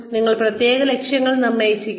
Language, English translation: Malayalam, You assign specific goals